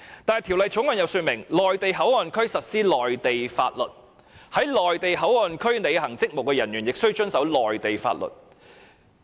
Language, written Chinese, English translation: Cantonese, 不過，《條例草案》訂明，內地口岸區實施內地法律，在內地口岸區履行職務的人亦須遵守內地法律。, Nonetheless according to the Bill the laws of the Mainland shall be applied in MPA and personnel performing their duties in MPA must comply with the laws of the Mainland